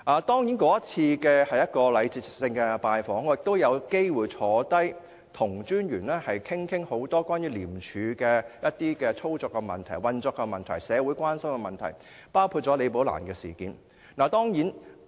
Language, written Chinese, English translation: Cantonese, 當然，這是一次禮節性的拜訪，而我也有機會坐下來跟廉政專員討論多項關於廉署操作和運作的問題、社會關心的問題，包括"李寶蘭事件"。, Of course it was a courtesy visit during which I also had an opportunity to meet with the ICAC Commissioner and discuss many issues relating to the practice and operation of ICAC and also matters of social concern including the Rebecca LI incident